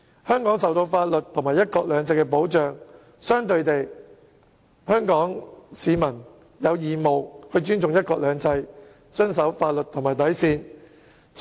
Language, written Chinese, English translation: Cantonese, 香港受法律及"一國兩制"保障，香港市民同樣有義務尊重"一國兩制"，遵守法律和底線。, While Hong Kong is protected by the law and the principle of one country two systems Hong Kong people have the obligation to respect the principle of one country two systems abide by the law and its bottom line